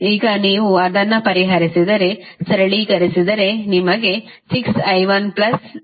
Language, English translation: Kannada, Now, if you solve it, if you simplify it you get 6i 1 plus 14i 2 is equal to 0